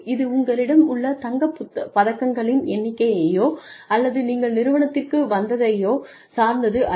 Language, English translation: Tamil, It is not dependent, on the number of gold medals, you have, or what you came to the organization, with